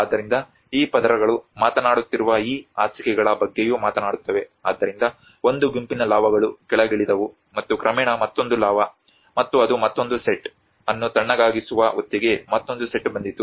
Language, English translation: Kannada, So, these layers also talks about these beds which are talking about, so a set of lava have come down and gradually another set of lava and the by the time it cools down the another set came, another set came